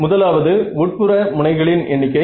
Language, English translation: Tamil, So, n is the number of interior edges